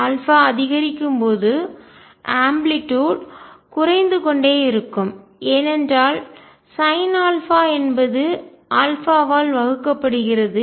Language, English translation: Tamil, Amplitude will keep going down as alpha increases, because sin alpha is divided by alpha